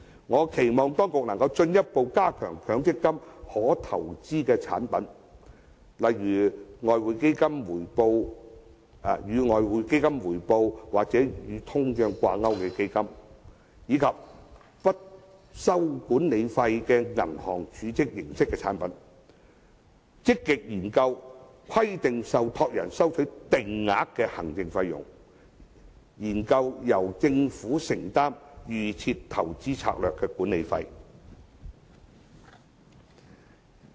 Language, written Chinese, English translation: Cantonese, 我期望當局能進一步增加強積金可投資的產品，例如與外匯基金回報或與通脹掛鈎的基金，以及不收管理費的銀行儲蓄形式產品；積極研究規定受託人收取定額的行政費用，以及研究由政府承擔"預設投資策略"的管理費。, Hence there is still much room for reduction . I expect the authorities to further increase the number of permissible investments under MPF such as products that are linked to the investment return of the Exchange Fund or the inflation rate as well as products similar to bank deposits that do not charge any management fees; to actively study the possibility of requiring trustees to charge a fixed management fee and also to look into the possibility of the Government bearing the management fees of the Default Investment Strategy